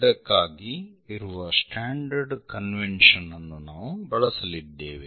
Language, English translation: Kannada, There is this standard convention what we are going to use